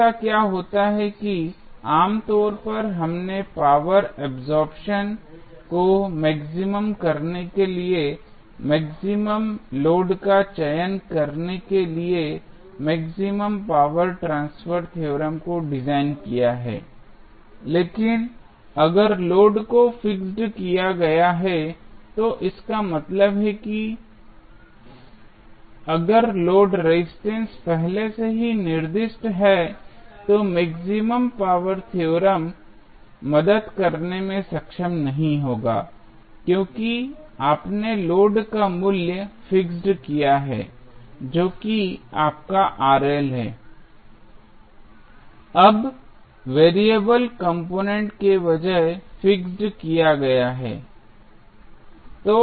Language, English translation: Hindi, What happens that generally we designed the maximum power transfer theorem to select the optimal load in order to maximize the power absorption, but, if the load is fixed, that means, if the load resistance is already specified, then maximum power theorem will not be able to help why because, since you have fixed the value of load that is your Rl is now fixed rather than the variable component